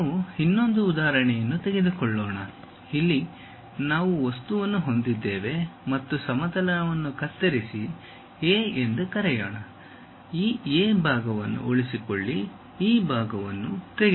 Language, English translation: Kannada, Let us take one more example, here we have an object and cut plane section let us call A A; retain this portion, remove this part